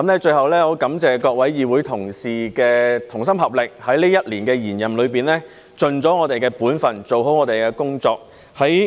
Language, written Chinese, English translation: Cantonese, 最後，我感謝各位議會同事的同心合力，在這一年的延任中，盡了我們本分，做好我們的工作。, Lastly I would like to thank various colleagues in this Council for making concerted efforts to pull our own weight and do our job well during this years extension of office